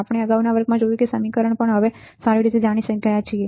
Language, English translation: Gujarati, We have seen in the earlier lectures, the formula also now we know very well